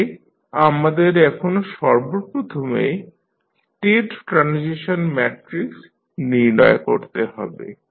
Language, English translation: Bengali, So, now we need to find out first the state transition matrix